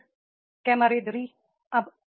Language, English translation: Hindi, Then the camaraderie